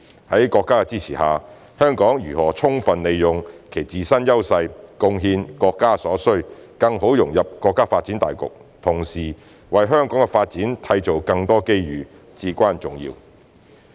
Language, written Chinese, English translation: Cantonese, 在國家的支持下，香港如何充分利用其自身優勢，貢獻國家所需，更好融入國家發展大局，同時為香港的發展締造更多機遇，至關重要。, With the support of our country it is important for Hong Kong to capitalize on our advantages contribute to what the country needs better integrate into the overall development of the country and create more opportunities for Hong Kongs development